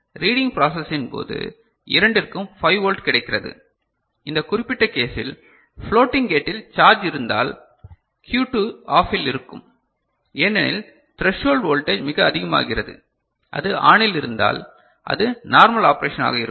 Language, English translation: Tamil, And during the reading process both of them get 5 volt and depending on this particular case this Q2 will be OFF if charge is there in the floating gate because the threshold voltage becomes much higher and if it is ON, then it will be the normal operations